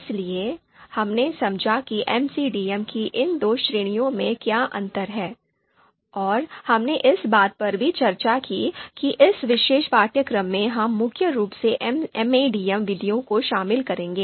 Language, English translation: Hindi, So we understood what are the differences between these two categories of MCDM, and we also discussed that in this particular course we would be mainly covering MADM methods